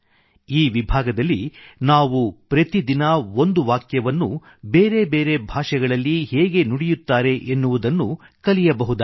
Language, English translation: Kannada, In this section, we can learn how to speak a sentence in different languages every day